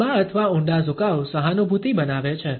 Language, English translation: Gujarati, A prolonged or deeper tilt creates empathy